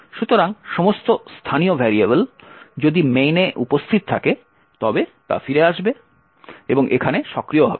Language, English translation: Bengali, So, all the local variables if any that are present in the main would come back and would actually be active over here